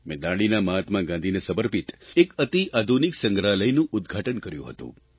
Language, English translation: Gujarati, There I'd inaugurated a state of the art museum dedicated to Mahatma Gandhi